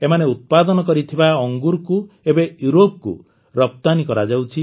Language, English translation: Odia, Now grapes grown there are being exported to Europe as well